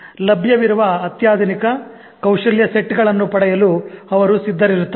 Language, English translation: Kannada, They are willing to acquire the state of the art skill sets which are available